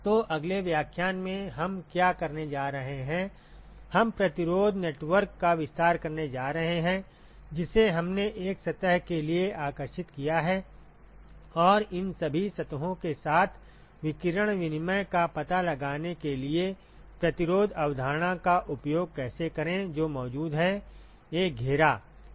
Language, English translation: Hindi, So, in what we are going to do in the next lecture, we are going to expand the resistance network that we drew for one surface, and how to use the resistance concept to find out the radiation exchange with all these surfaces that is present in an enclosure